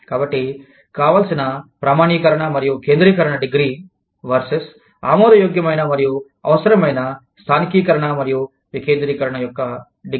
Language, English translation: Telugu, So, the degree of desired standardization & centralization, versus, degree of acceptable and or necessary localization and decentralization